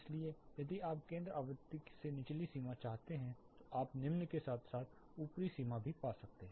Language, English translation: Hindi, So, if you want the lower limit from the center frequency you can find the lower as well as the upper limit